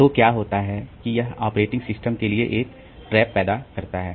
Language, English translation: Hindi, So, what happens is that it generates a trap to the operating system